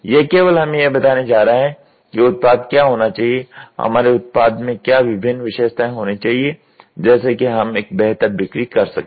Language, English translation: Hindi, This is only going to tell us what should be the product what all should be the different features should exist in our product such that we can have a better sale